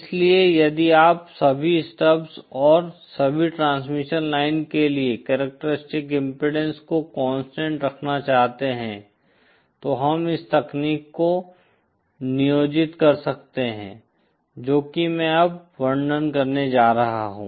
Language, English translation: Hindi, So if you want to keep the a characteristic impedance for all the stubs and all the transmission lines constant then we can employ this technique that is that that I am going to describe now